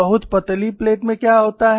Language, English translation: Hindi, What happens in a very thin plate